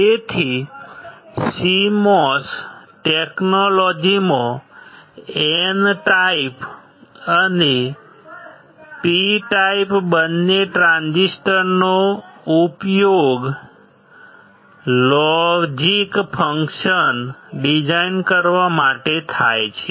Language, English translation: Gujarati, So, in CMOS technology both N type and P type transistors are used to design logic functions